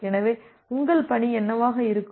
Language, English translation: Tamil, So, what your task would be